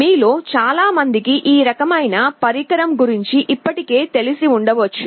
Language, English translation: Telugu, Many of you may already be familiar with this kind of device